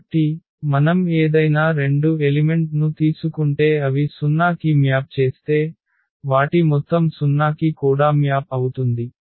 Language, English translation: Telugu, So, if we take any 2 elements and they map to the 0, so, their sum will also map to the 0